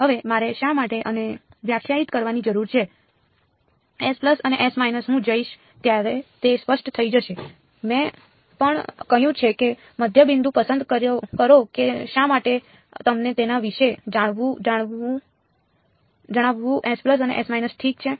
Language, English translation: Gujarati, Now, why I need to define this S plus and S minus will become clear as I go I may as well just have said pick the midpoint why to tell you about S plus and S minus ok